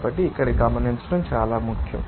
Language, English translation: Telugu, So, this is very important to note here